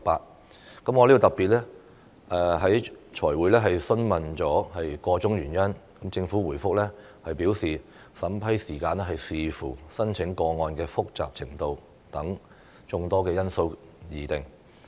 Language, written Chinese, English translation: Cantonese, 我在財務委員會特別會議上詢問箇中原因，政府回覆表示審批時間視乎申請個案的複雜程度等眾多因素而定。, I inquired about the reason at a special meeting of the Finance Committee and the Government replied that the time taken for vetting and approval hinged on various factors including the complexity of an application